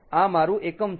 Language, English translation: Gujarati, this is my unit